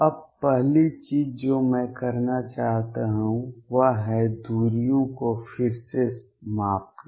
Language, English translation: Hindi, Now, first thing I want to do is rescale the distances